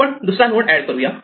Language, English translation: Marathi, Let us add another node